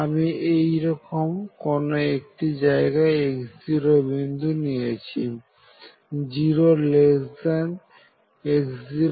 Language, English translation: Bengali, So, somewhere I choose a point x 0 well